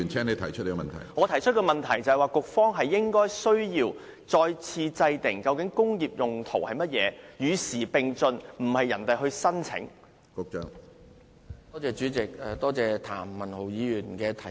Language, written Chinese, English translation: Cantonese, 我提出的補充質詢是，局方需要再次制訂"工業用途"的定義，與時並進，而不是由土地承租人提出申請。, My supplementary question is Does the Secretary agree that the Bureau should redefine the meaning of industrial use so that the term can keep abreast of the times rather than relying on the lessees to apply for a waiver?